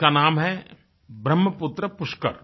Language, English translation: Hindi, It's called Brahmaputra Pushkar